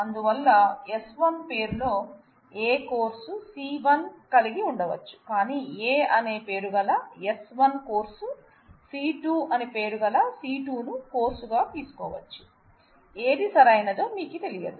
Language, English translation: Telugu, So, S 1 has in name A may be taking course C 1 having name C, but again the S 1 having name A could be taking course C 2 having name B, you just do not know which one is correct